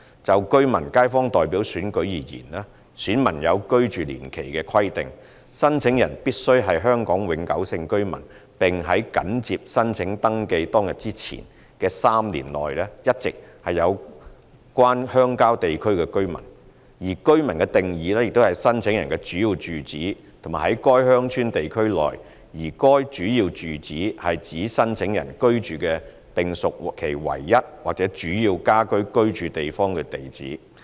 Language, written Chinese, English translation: Cantonese, 就居民/街坊代表選舉而言，選民有居住年期的規定，申請人必須是香港永久性居民，並在緊接申請登記當日之前的3年內一直是有關鄉郊地區的居民；而"居民"的定義是申請人的主要住址是在該鄉郊地區內，而該主要住址是指申請人居住的並屬其唯一或主要家居居住地方的地址。, Any persons who wants to register as an elector in these Elections must be a Hong Kong permanent resident and has been a resident of the concerned rural area for the three years immediately before the date of application . A resident means a person whose principal residential address is in the rural area . A principal residential address means the address of the dwelling place at which the person resides and which constitutes the persons sole or main home